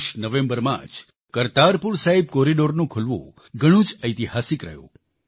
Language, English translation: Gujarati, Opening of the Kartarpur Sahib corridor in November last year was historic